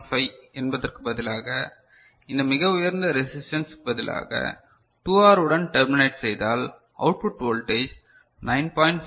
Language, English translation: Tamil, 6875 ok, if you terminate with 2R instead of this very high resistance, if you terminate with 2R then the output voltage will be 9